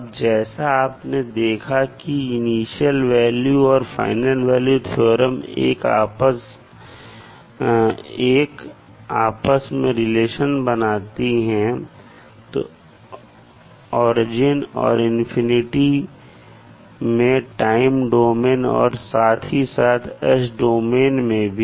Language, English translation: Hindi, Now initial values and final value theorems shows the relationship between origin and the infinity in the time domain as well as in the s domain